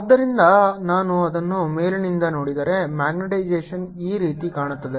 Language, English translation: Kannada, so if i look at it from the top, this is how the magnetization looks